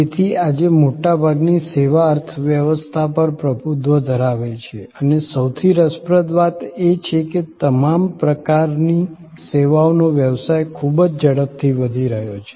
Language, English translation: Gujarati, So, services today dominate most economies and most interestingly all types of services business are growing very rapidly